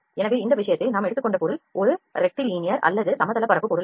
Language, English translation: Tamil, So, our object in this case is not a rectilinear or the planes object